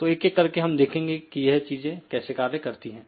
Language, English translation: Hindi, So, we will see one by one how to do these things